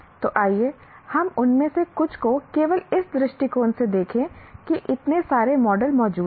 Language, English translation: Hindi, So, let us look at some of them, just only from the point of you saying that so many models exist